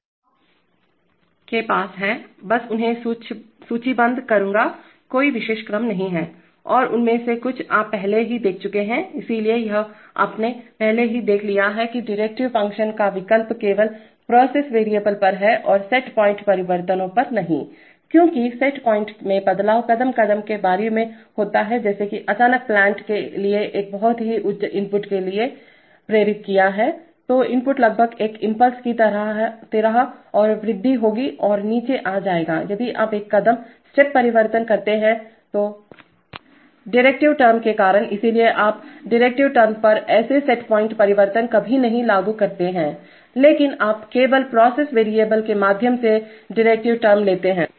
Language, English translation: Hindi, So you have, I will just list them there is no particular order and some of them you have already seen, so this, you have already seen that the option to have the derivative function act only on the process variable and not on set point changes because set point changes can be stepped like, so that would give sudden, suddenly have induce a very high input to the, to the plant so the input will rise like and like almost like an impulse and will come down if you make a step change because of the derivative term, so you never apply the such set point changes on the derivative term but you take the derivative term through the, through the, only from the process variable